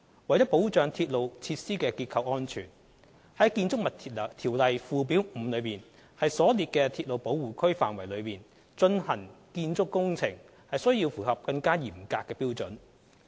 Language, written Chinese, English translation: Cantonese, 為保障鐵路設施的結構安全，於《建築物條例》附表5所列的鐵路保護區範圍內進行建築工程須符合更嚴格的標準。, To safeguard the safety of railway structures construction works located within the railway protection area as stipulated under Schedule 5 of BO should comply with a more stringent set of standards